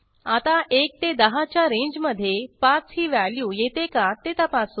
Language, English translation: Marathi, Now lets check whether 5 lies in the range of 1 to 10